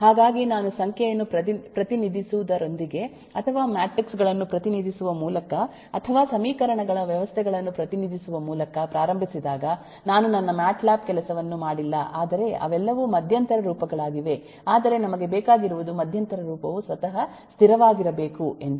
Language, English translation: Kannada, so when I have started with representing number or by representing matrices or by representing systems of equations I have not done my matlab, but they are all intermediate forms but what we need is the intermediate form has to be stable by itself